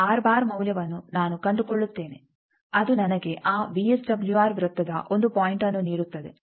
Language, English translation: Kannada, So, I will find out that r bar value that will give me 1 point of that VSWR circle